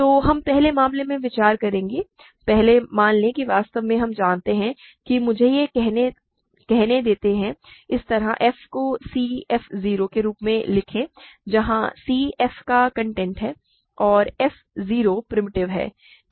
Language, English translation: Hindi, So, we will first consider the case first assume that actually we know that we let me say that like this, write f as c f 0 where c is the content of f and f 0 is primitive